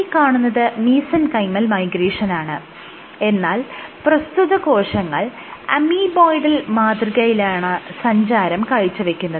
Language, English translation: Malayalam, This is Mesenchymal migration and they migrated in an Amoeboidal manner